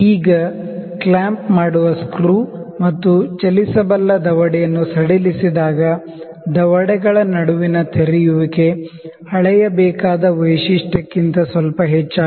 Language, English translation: Kannada, Now, loosely the clamping screw and sliding the moveable jaw altering the opening between the jaws is slightly more than the feature to be measured